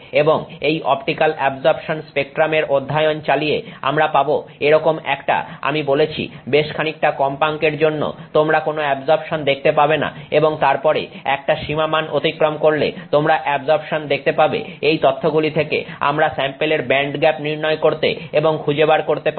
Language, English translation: Bengali, And so this is the way we do optical absorption spectra and by carrying out the optical absorption in spectrum studies we get a like I said you know for a fair bit of frequencies you will not see some absorption and then pass some threshold you start seeing some absorption from this data we are able to calculate and extract out the band gap of that sample